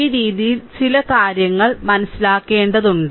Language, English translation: Malayalam, So, this way you will have to understand certain things right